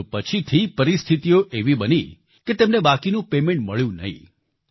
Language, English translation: Gujarati, However, later such circumstances developed, that he did not receive the remainder of his payment